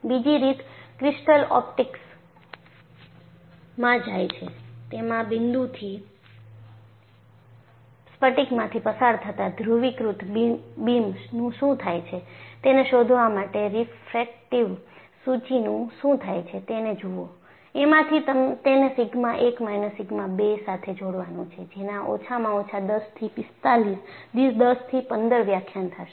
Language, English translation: Gujarati, The other way to look at is go to crystal optics; find out what happens to a polarized beam that passes through a crystal from that point; look what happens to the refractive index; from then on, relate it to sigma 1 minus sigma 2; that would take at least 10 to 15lectures